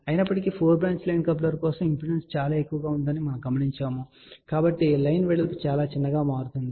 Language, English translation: Telugu, However, for 4 branch line coupler we notice that the impedance is very high so the line width becomes very small